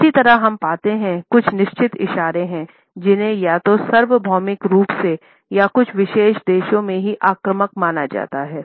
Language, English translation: Hindi, Similarly, we find that there are certain gestures, which are considered to be offensive either universally or in some particular countries only